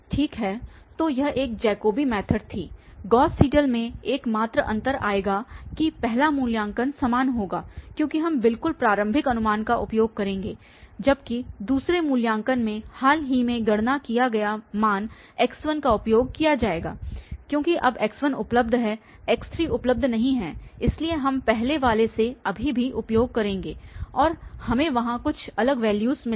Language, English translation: Hindi, Well, so this was a Jacobi method, the only difference in the Gauss Seidel will come, that the first evaluation will be the same, because we will be using exactly the initial guess, while in the second one x1 this will be used, the recently computed values because now x1 is available, x3 is not available, so we will use still from the previous one and we will get some different value there